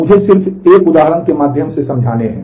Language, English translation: Hindi, Here I have given another example